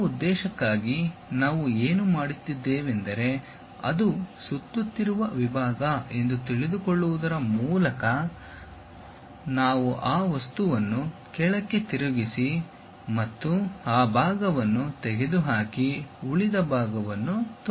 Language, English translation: Kannada, For that purpose what we do is by knowing it is as a revolve section, we rotate this object downwards, remove that portion show it